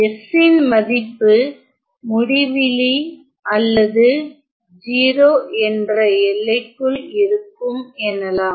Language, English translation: Tamil, Let us say in the limiting value s going to infinity or in the limiting value s going to 0